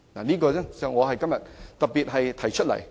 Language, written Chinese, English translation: Cantonese, 這是我今天要特別提出來的建議。, These are the proposals that I wish to make specifically today